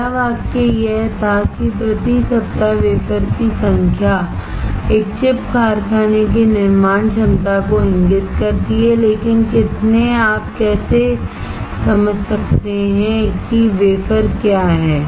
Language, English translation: Hindi, First sentence was that the number of wafer starts per week indicates the manufacturing capacity of a chip factory, but how many, how you can understand what is wafer start